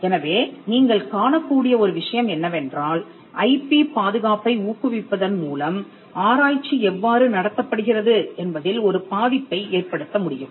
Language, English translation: Tamil, So, one of the things you will find is that by incentivizing IP protection there it could influence the way in which research is conducted